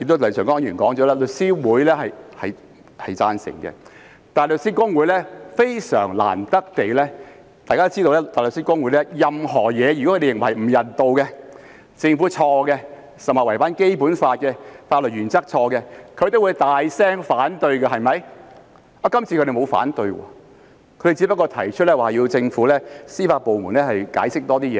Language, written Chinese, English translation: Cantonese, 廖長江議員也指出，律師會表示贊成，而非常難得地，大律師公會——大家皆知道，對於任何不人道的事情，以及政府犯錯或違反《基本法》或法律原則等情況，大律師公會皆會大聲反對——這次沒有提出反對，只是要求政府的司法部門更詳細解釋。, As also pointed out by Mr Martin LIAO The Law Society expressed its agreement and very rarely HKBA―as Members all know in case of any inhumanity or any blunders or even contravention of the Basic Law or legal principles on the part of the Government HKBA will not hesitate to voice its objection aloud―did not raise any objection this time around